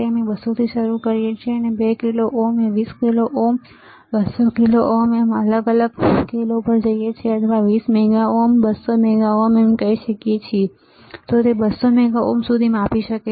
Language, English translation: Gujarati, We start from 200, we go to 2 kilo ohm 20 kilo ohm 200 kilo ohm 2000 kilo ohm or you can say 20 mega ohm and 200 mega ohm, until 200 mega ohm it can measure, right